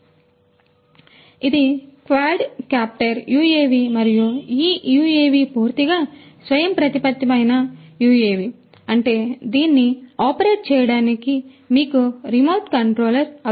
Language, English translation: Telugu, And, so, this is a quadcopter UAV and this UAV is a fully autonomous UAV; that means, that you do not need any remote control to operate it